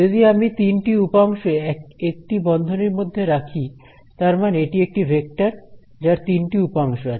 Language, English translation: Bengali, So, I have written it in brackets with three component; that means, that it is a vector with three components